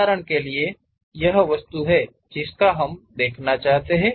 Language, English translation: Hindi, For example, this is the object we would like to represent